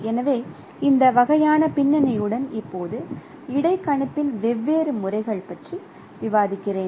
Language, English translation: Tamil, So with this kind of background now let me discuss different methodologies of interpolation